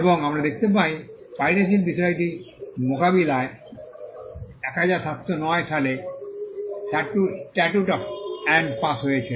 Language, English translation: Bengali, And we find that the statute of Anne was passed in 1709 to tackle the issue of piracy